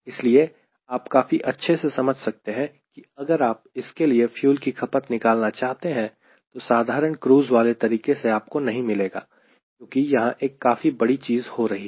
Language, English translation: Hindi, and if you want to really calculate the fuel consumption for this and if you follow simple cruise method, you will not get, because there are a huge things are happening